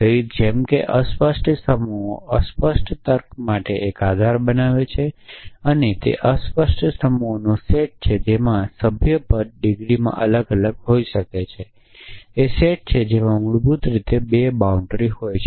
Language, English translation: Gujarati, So, just like fuzzy sets form a basis for fuzzy logic and fuzzy sets are sets in which membership can vary to degrees rough sets are sets which have basically 2 boundaries essentially